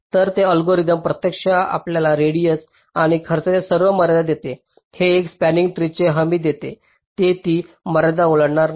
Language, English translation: Marathi, so this algorithm actually gives you some bounds on radius and cost and it guarantees a spanning tree which will not cross that bound